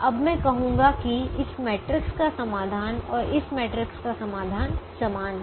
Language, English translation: Hindi, now i am going to say that the solution to this matrix and the solution to this matrix are the same